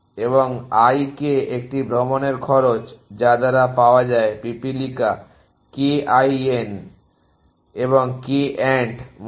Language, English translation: Bengali, And l k is a cost of tour found by is ant kin the k ant essentially